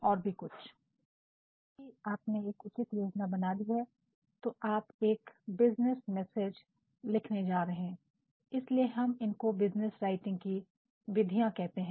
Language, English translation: Hindi, Now, since you have already made proper planning now you are going to write your business message, hence we call it the mechanics of business writing